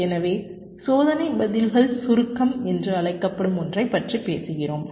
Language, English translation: Tamil, so we talk about something called test response compaction